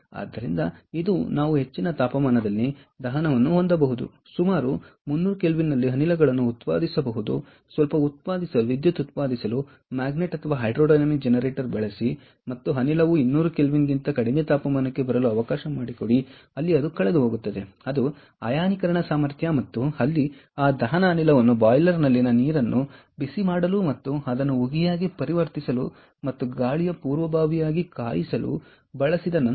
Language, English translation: Kannada, so this is one case where we can have combustion at very high temperature, generate the gases at around three hundred kelvin, use a magnet or hydrodynamic generator to a to generate some electricity and let the gas come down to temperatures below two hundred kelvin, where it loses its ionization potential, and there after use that combustion gas for heating up the ah water in the boiler and convert it to steam and also for air preheating